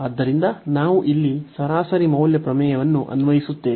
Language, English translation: Kannada, And now we will apply the mean value theorem